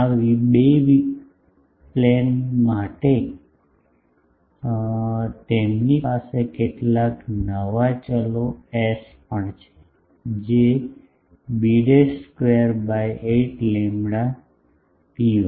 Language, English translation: Gujarati, For these 2 planes, they also have some new variables s, which is b dash square by 8 lambda rho 1